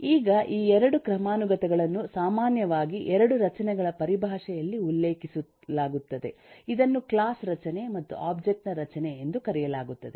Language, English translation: Kannada, now these 2 hierarchies are typically referred in terms of 2 structures known as a class structure and object structure